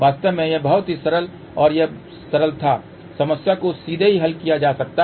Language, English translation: Hindi, In fact, this was very simple in this simple problem can be also directly solved also